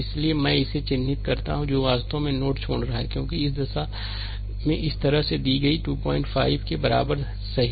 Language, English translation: Hindi, So, I mark it here that is actually leaving the node, because direction is this way it is given, right is equal to 2